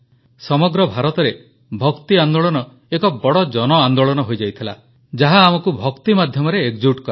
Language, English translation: Odia, The Bhakti movement became a mass movement throughout India, uniting us through Bhakti, devotion